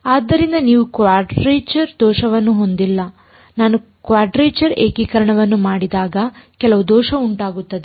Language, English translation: Kannada, So, that you do not have the error of quadrature when I do quadrature integration there will be some error